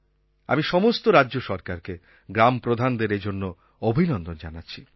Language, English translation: Bengali, I congratulate all the State Governments and the village heads